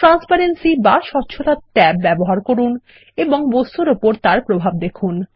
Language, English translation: Bengali, Use the Transparency tab and see its effects on the objects